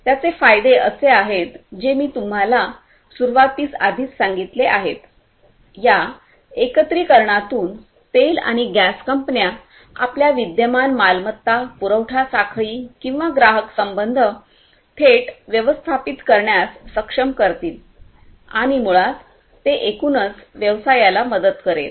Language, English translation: Marathi, The benefits is something that, I have already told you at the outset, but what is going to happen is through the integration the oil and gas companies would be able to directly manage their existing assets, supply chains or customer relationships and that basically will help the business overall